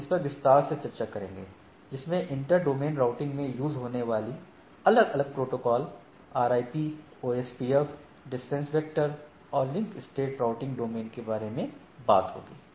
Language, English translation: Hindi, So, we will be discussing more detail on taking into these inter domain routing looking at different RIP, OSPF or distance vector and link state routing in our subsequent talk